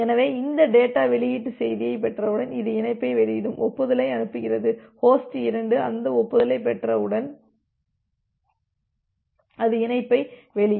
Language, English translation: Tamil, So, once it is it is getting these data release message it will release the connection, send the acknowledgement and once host 2 will get that acknowledgement, it will release the connection